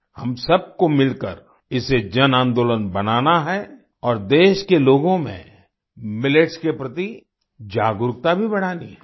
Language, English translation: Hindi, Together we all have to make it a mass movement, and also increase the awareness of Millets among the people of the country